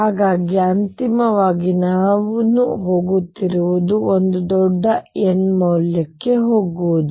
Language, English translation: Kannada, So, what I am going have finally is go to a huge n value